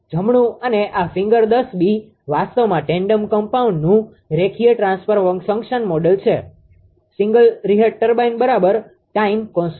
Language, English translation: Gujarati, Right and this figure 10 b actually shows the linear transfer function model of the tandem compound single reheat turbine right the time constant